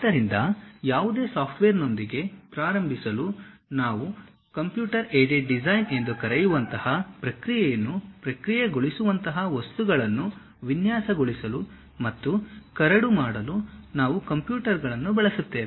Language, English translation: Kannada, So, to begin with any software, we use that to design and draft the things especially we use computers to use in designing objects that kind of process what we call computer aided design